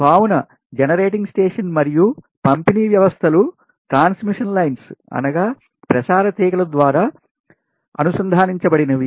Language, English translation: Telugu, so generating station and distribution system are connected through transmission lines